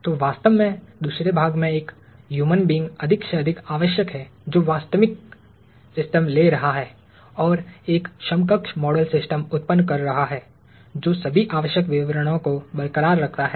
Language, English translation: Hindi, So, in fact, a human being is more and more necessary in the second part, which is, taking a real system and generating an equivalent model system that retains all the necessary details